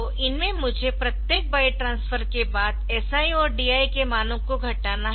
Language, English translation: Hindi, So, in these I have to decrement the values of SI and DI after each byte transfer